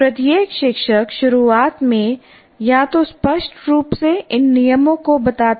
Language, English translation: Hindi, Each teacher either implicitly or explicitly states these rules right in the beginning